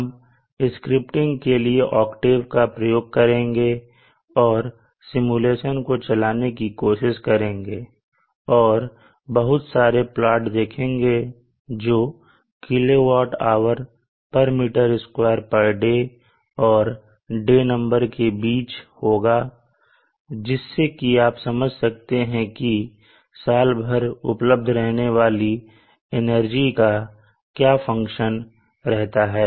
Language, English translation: Hindi, We shall use octave for scripting and try to run the simulation and see the plot outs of the kilowatt hour per meter square per day versus the day number so that you know how the available energy function is over the year